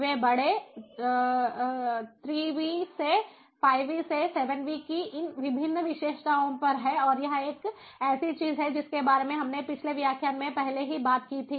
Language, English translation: Hindi, they are at a these different characteristics of big three vs to five vs to seven vs and this is something that we spoke about in a previous lecture already